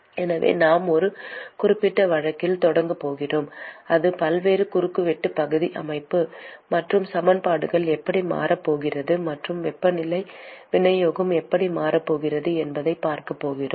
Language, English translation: Tamil, So, we are going to start with a specific case where the varying cross sectional area system; and we are going to see how the equations are going to change and how the temperature distribution is going to change